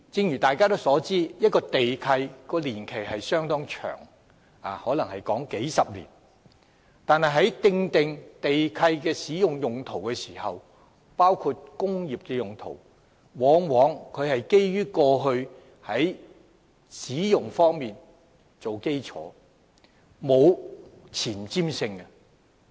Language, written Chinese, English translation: Cantonese, 眾所周知，地契的年期相當長，動輒長達數十年，但地契所訂的土地用途，包括工業用途，往往建基於土地過去的用途，並無前瞻性。, As we all know a land lease usually covers a long term spanning over decades and the land use stated therein including industrial use is often based on the previous land use and is thus not forward - looking